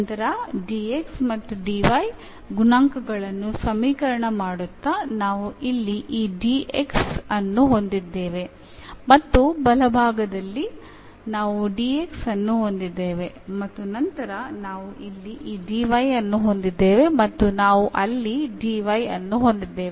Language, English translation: Kannada, And equating now the coefficients of this dx and dy, so we have here this dx and the right hand side also we have dx and then we have this dy here and we also have the dy there